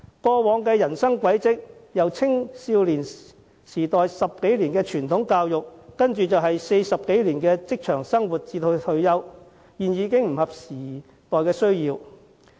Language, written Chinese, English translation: Cantonese, 過往的人生軌跡，即青少年在接受10多年傳統教育後投身社會工作40多年至退休的過程，其實已不合時代的需要。, Life has been like that as a teenager you receive more than 10 years of traditional education then you work for more than 40 years before retirement . However this no longer meets the needs of the community in this era